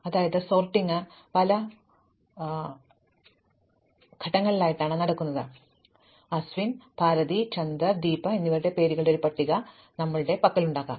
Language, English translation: Malayalam, So, we might have a list of names of people say Aswin, Bharathi, Chander and Deepa